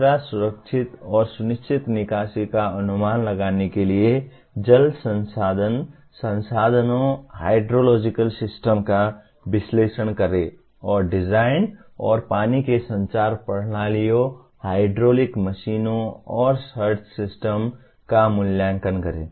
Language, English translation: Hindi, Third one, analyze water resource/resources, hydrological systems to estimate safe and assured withdrawals and specify design and evaluate water conveyance systems, hydraulic machines and surge systems